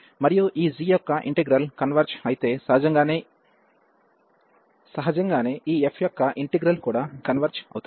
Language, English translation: Telugu, And if the integral of this g converges, then naturally the integral of this f will also converge